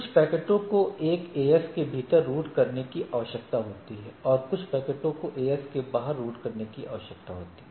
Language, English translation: Hindi, Now, you see so, some of the packets need to be routed within the AS, some of the packets need to be routed outside the AS right